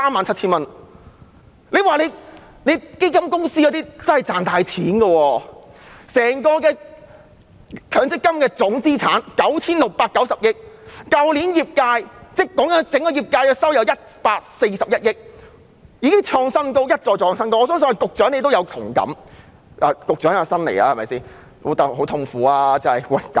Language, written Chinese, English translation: Cantonese, 強積金計劃的總資產高達 9,690 億元，整個業界在去年的收入共有141億元，一再創下新高，相信局長對此也有同感。, The total asset value of MPF schemes is as high as 969 billion and the total income of the entire sector for last year amounted to 14.1 billion a record high again which I think should have also left the Secretary speechless